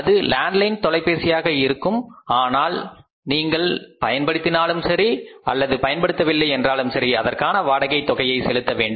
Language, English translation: Tamil, If it is a landline telephone you pay the rent which is irrespective of the fact whether you use the phone you don't use the phone you have to pay the phone rent for that